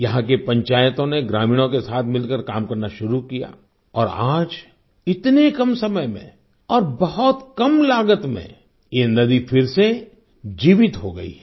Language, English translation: Hindi, The panchayats here started working together with the villagers, and today in such a short time, and at a very low cost, the river has come back to life again